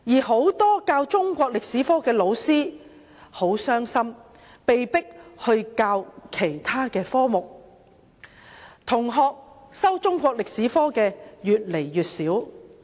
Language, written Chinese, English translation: Cantonese, 很多中史科的老師很傷心，被迫轉教其他科目；修讀中史科的同學越來越少。, Many Chinese History teachers were saddened as they were forced to teach other subjects . Fewer and fewer students take Chinese History as an elective